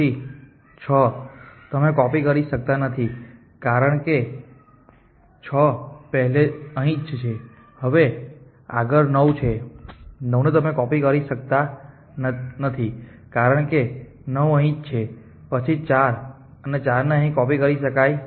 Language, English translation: Gujarati, Then 6 you cannot copy, because 6 is here the follow the point got to 9, 9 you cannot copy, because 9 is here follow he point at 4 an 4 can be copy it here